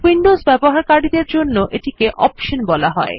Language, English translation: Bengali, For Windows users, this feature is called Options